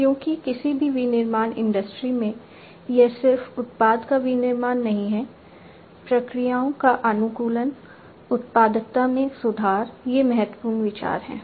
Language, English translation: Hindi, Because in any manufacturing industry it is not just the manufacturing of the product, optimization of the processes, improvement of the productivity, these are important considerations